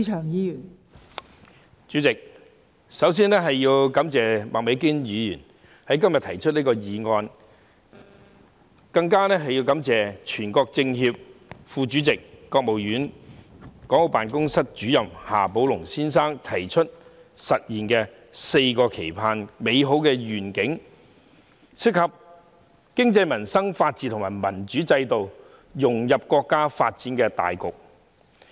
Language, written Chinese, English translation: Cantonese, 代理主席，首先我要感謝麥美娟議員今天提出這項議案，更要感謝全國政協副主席、國務院港澳事務辦公室主任夏寶龍先生提出實現"四個期盼"的美好願景，當中涉及經濟民生、法治和民主制度，以及融入國家發展大局。, Deputy President first of all I have to thank Ms Alice MAK for moving this motion today and also thank Mr XIA Baolong Vice - Chairman of the National Committee of the Chinese Peoples Political Consultative Conference and Director of the Hong Kong and Macao Affairs Office of the State Council for proposing to realize the valuable vision of the four expectations which are about the economy peoples livelihood the rule of law and the democratic system as well as the integration into the overall development of the country